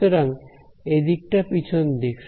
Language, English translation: Bengali, So, it is the backside